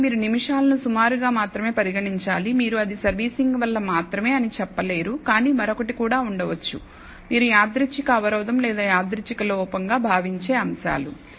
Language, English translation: Telugu, So, you should regard the minutes as only an approximation, you can not say that is only due to servicing, but also could have other factors which you treat as random disturbance as random error